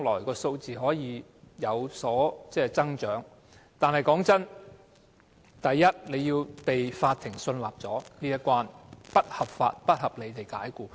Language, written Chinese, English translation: Cantonese, "過三關"所指的是，第一關，法院必須信納僱員遭不合法及不合理解僱。, About the three hurdles to be overcome the first hurdle is that it must be proved to the satisfaction of the court that the employee has been unlawfully and unreasonably dismissed